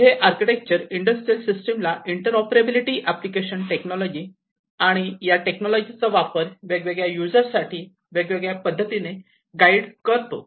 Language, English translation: Marathi, And this architecture broadly applies in the industrial systems to allow interoperability, mapping application technologies, and in guiding the use of these technologies by different application users